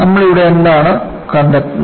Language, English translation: Malayalam, So,that is what you find here